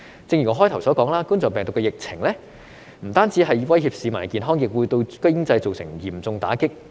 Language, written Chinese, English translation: Cantonese, 正如我發言開始時說，冠狀病毒的疫情不但威脅市民的健康，亦會對經濟造成嚴重打擊。, As I said at the beginning of my speech the coronavirus epidemic has not only threatened the health of the public but also severely hit the economy